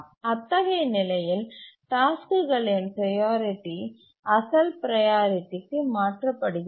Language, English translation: Tamil, So the task's priority in that case is reverted back to the original priority